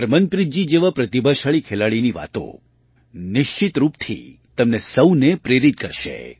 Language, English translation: Gujarati, The words of a talented player like Harmanpreet ji will definitely inspire you all